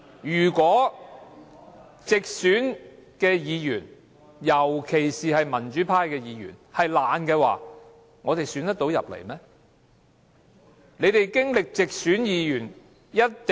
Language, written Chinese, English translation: Cantonese, 如果直選議員，特別是民主派的直選議員是懶惰的話，他們會當選嗎？, Will Members returned from direct elections particularly those who are pro - democracy Members still be elected if they are lazy?